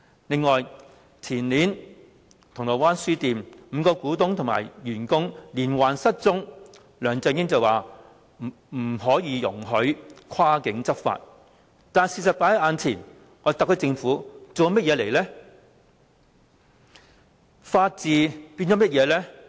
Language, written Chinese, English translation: Cantonese, 此外，前年銅鑼灣書店5名股東及員工連環失蹤，梁振英口說不可以容許跨境執法，但事實放在眼前，特區政府做了甚麼呢？, In addition regarding the incident of the disappearance of five shareholders and staff members of Causeway Bay Books that happened in the year before last though LEUNG Chun - ying said that no cross - border law enforcement was allowed the fact has been apparent and what has the SAR Government done?